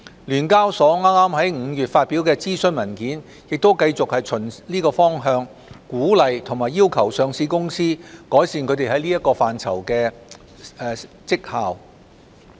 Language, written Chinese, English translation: Cantonese, 聯交所剛在5月發表的諮詢文件亦繼續循此方向鼓勵及要求上市公司改善它們在這範疇的績效。, The consultation paper published by SEHK just in May also continues to encourage and require listed companies to improve their performance in these aspects along the same direction